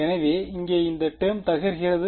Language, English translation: Tamil, So, this term over here blows up